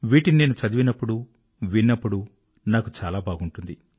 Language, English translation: Telugu, When I read them, when I hear them, it gives me joy